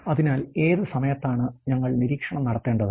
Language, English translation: Malayalam, So, what points of time we have to make the observation